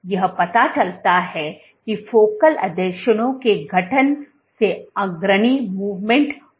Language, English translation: Hindi, So, this suggests that formation of focal adhesions drives leading edge movement